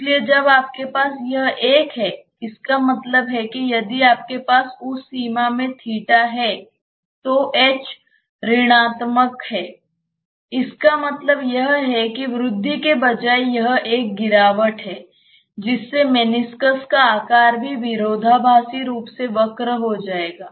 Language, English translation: Hindi, So, when you have this one; that means, you will get if you have theta in that range obviously, h is negative; that means, instead of rise it is a fall the meniscus shape also will be just curved oppositely